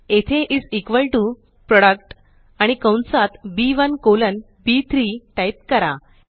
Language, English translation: Marathi, Here type is equal to PRODUCT, and within the braces, B1 colon B3